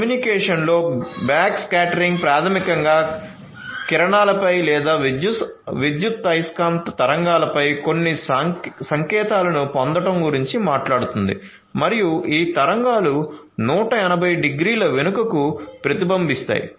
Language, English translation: Telugu, So, backscattering in communication basically talks about in getting certain signals on the rays or the electromagnetic waves and these waves are going to get reflected back 180 degrees